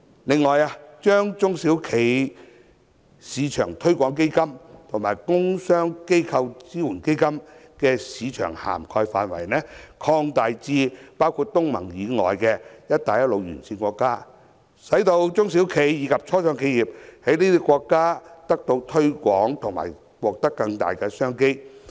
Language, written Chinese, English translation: Cantonese, 此外，政府應將中小企業市場推廣基金和工商機構支援基金的市場涵蓋範圍擴大至包括東盟以外的"一帶一路"沿線國家，使中小企及初創企業在這些國家得到推廣和獲取更大商機。, Furthermore the Government should expand the scope of the SME Export Marketing Fund and the Trade and Industrial Organisation Support Fund to cover non - ASEAN states along the Belt and Road so that our SMEs and start - up enterprises can have promotion support and better opportunities in these countries